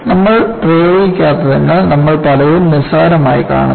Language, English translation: Malayalam, Because we do not apply, we take many things for granted